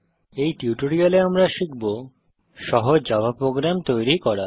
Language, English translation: Bengali, In this tutorial we will learn To create a simple Java program